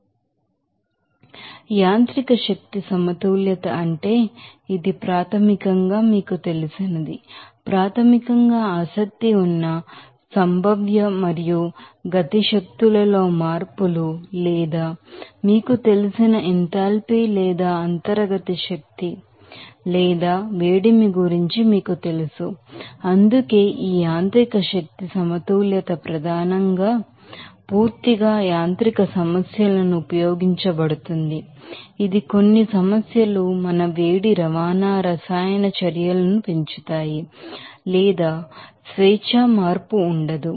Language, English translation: Telugu, So, what is that mechanical energy balance this is a basically, you know, useful for processing which changes in the potential and kinetic energies which are primarily interest or rather than changes you in you know enthalpy or internal energy or heat associated with the you know our processes that is why this mechanical energy balance will be mainly used for purely mechanical problems that is some problems increase our heat transport chemical reactions or free change are not present in that particular processes, we have already discussed